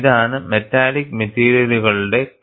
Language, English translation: Malayalam, And this is K1C of metallic materials